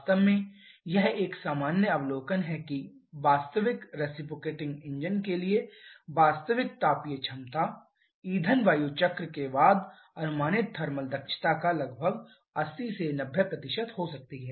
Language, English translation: Hindi, In fact it is a common observation that the actual thermal efficiency for a real reciprocating engine can be about 80 to 90% of the thermal efficiency predicted following the fuel air cycle